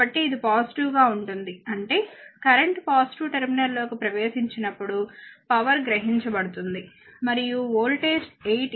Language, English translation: Telugu, So, it is a positive; that means, as current entering into the positive terminal it will be power absorbed and voltage is given 8